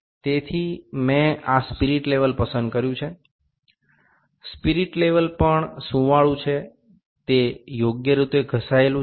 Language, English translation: Gujarati, So, I have put picked this spirit level, spirit level is also smoothened, it is grounded properly